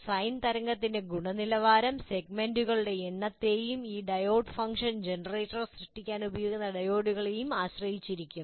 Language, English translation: Malayalam, And if the quality of the sine wave that you produce will depend on the number of segments and the diodes that you use in creating this diode function generator